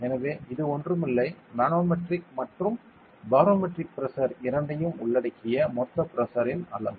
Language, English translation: Tamil, So, it is nothing, but the total amount of pressure including both manometric and barometric pressure